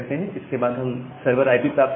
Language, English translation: Hindi, Then we get the server IP